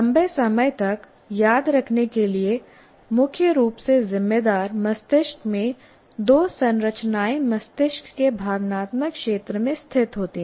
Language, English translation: Hindi, The two structures in the brain mainly responsible for long term remembering are located in the emotional area of the brain, that is the amygdala and the hippocampus